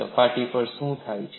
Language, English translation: Gujarati, On the surface what happens